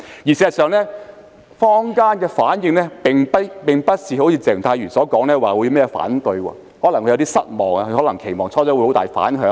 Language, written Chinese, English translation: Cantonese, 事實上，坊間的反應並不如鄭松泰議員所說般會提出反對，他可能會有點失望，因他最初可能期望會有很大的反響。, In fact the community have not responded with opposition as claimed by Dr CHENG Chung - tai . He may be a bit disappointed for he might have expected in the beginning that there would be strong reaction